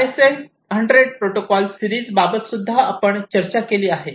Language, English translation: Marathi, So, at that time the ISA 100 series of protocols was discussed